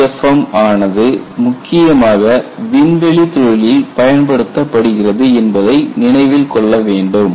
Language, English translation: Tamil, It is to be remembered that LEFM is principally applied in aerospace industry